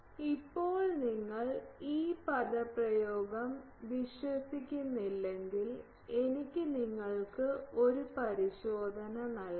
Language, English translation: Malayalam, Now, if you do not believe this expression, I can give you a check